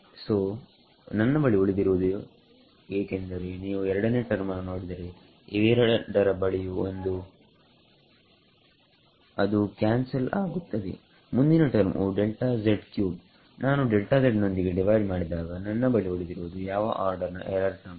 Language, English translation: Kannada, So, I am left with because if you see the second term on both of these is going to have a delta z squared which will get cancelled off the next term will be delta z cube when I divide by delta z I am left with the error term of order delta z square